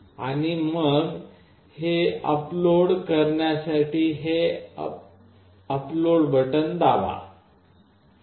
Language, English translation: Marathi, And then we press this upload button to upload it